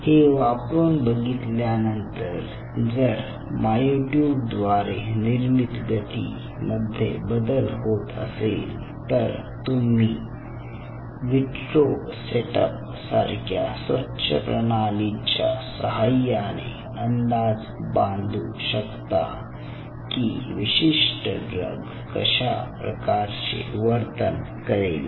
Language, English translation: Marathi, now, upon adding, if you see the change in the force generated by the myotube, then in a very clean system, in vitro setup, you will be able to predict how a specific drug is going to behave in a system like this